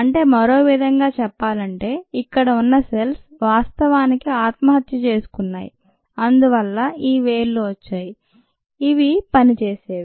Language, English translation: Telugu, therefore, in other words, the cells here actually committed suicide and that is what gave us these digits which are functioning